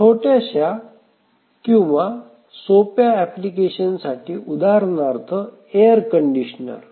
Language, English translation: Marathi, For very very simple embedded applications, for example, let us say a air conditioner